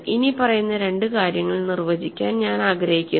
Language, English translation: Malayalam, So, I want to define the following two things